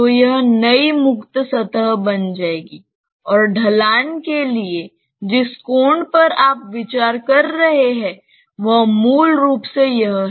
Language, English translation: Hindi, So, this will become the new free surface and the angle that you are considering for the slope is basically this one